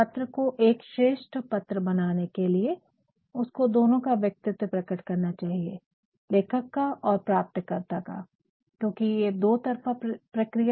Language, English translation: Hindi, So, in order to make a letter good, they must express the personality both of the writer and of the recipient because it is a two way process